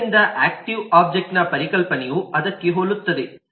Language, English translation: Kannada, so concept of active object is very similar to that